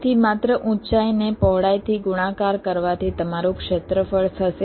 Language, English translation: Gujarati, so just height multiplied by width will be your area